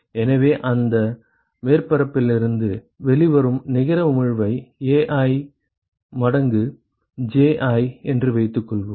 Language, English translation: Tamil, So, supposing the net emission that comes out of that surface is Ai times Ji right